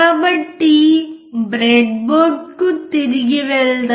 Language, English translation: Telugu, So, let us go back to the breadboard